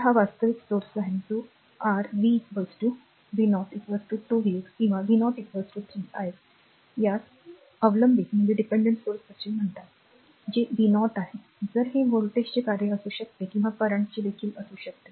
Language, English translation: Marathi, So, this is actually dependent source that your v is equal to you r v 0 is equal to 2 v x or v 0 is equal to 3 i x these are called dependent source that is v 0 in case it may be function of voltage or may be function of current also right